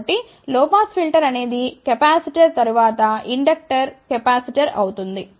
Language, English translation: Telugu, So, think about a low pass filter would be a capacitor, then inductor capacitor